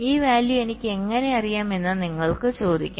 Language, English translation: Malayalam, well, you can ask that: how do i know these values